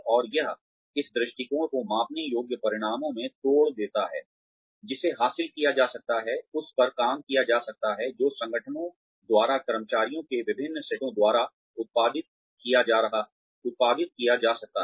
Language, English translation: Hindi, And, it also breaks up this vision into measurable outcomes, that can be achieved, that can be worked on, that can be produced by, different sets of employees, within the organizations